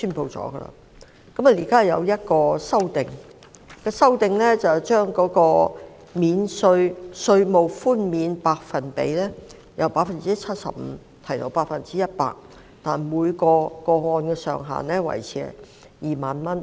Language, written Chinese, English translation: Cantonese, 現在當局提出一項修正案，把稅務寬免的百分比由 75% 提高至 100%， 但每宗個案的上限維持在2萬元。, Now the authorities have introduced an amendment to increase the percentage rate of reduction from 75 % to 100 % while retaining the ceiling of 20,000 per case